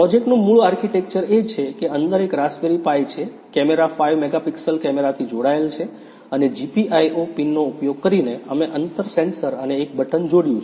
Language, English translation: Gujarati, The basic architecture of the; the basic architecture of the project is that there is a Raspberry Pi inside, a camera is connected to it of 5 megapixel camera and using the GPIO pins, we have connected the distance sensor and a button